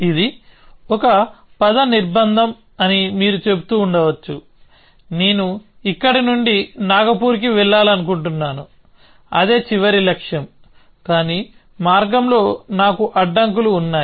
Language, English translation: Telugu, So, that is a trajectory constraint you are may be saying that, I want to go from here to Nagpur, that is a final goal, but I have constraints on the path as well